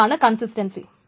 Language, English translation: Malayalam, This is consistency